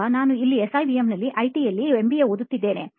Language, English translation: Kannada, Now I am here pursuing MBA in IT in SIBM